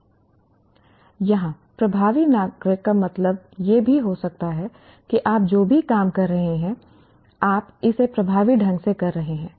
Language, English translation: Hindi, Here, effective citizen would also mean whatever job that you are doing, you are doing it effectively